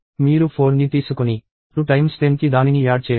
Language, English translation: Telugu, You take 4 and add it to two times 10